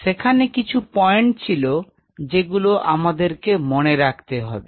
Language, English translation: Bengali, And there are certain points which you have to kept keep in mind